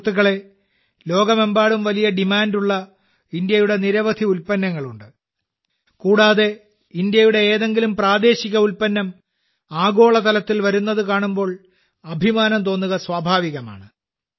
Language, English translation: Malayalam, Friends, there are so many products of India which are in great demand all over the world and when we see a local product of India going global, it is natural to feel proud